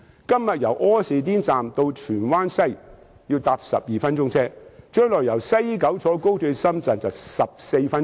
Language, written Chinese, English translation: Cantonese, 今天由柯士甸站到荃灣西站需要12分鐘，但是，將來由西九高鐵站到深圳則只需14分鐘。, Today the journey from Austin Station to Tsuen Wan West Station takes 12 minutes . But in the future the journey from the express rail link station in West Kowloon to Shenzhen will merely take 14 minutes